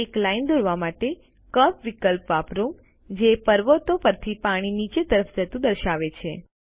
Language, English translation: Gujarati, Lets use the option Curve to draw a line that shows water running down the mountains